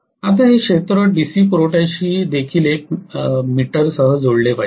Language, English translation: Marathi, Now this field also has to be connected to a DC supply along with an ammeter